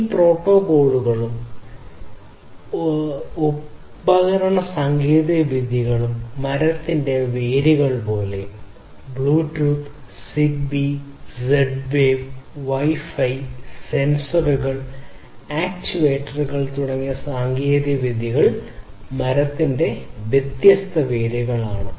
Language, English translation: Malayalam, So, these protocols and device technologies are sort of like the roots of the tree; technologies such as Bluetooth, ZigBee, Z Wave wireless , Wi Fi, sensors, actuators these are the different roots of the tree